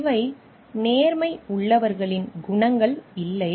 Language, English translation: Tamil, These are not qualities of people with integrity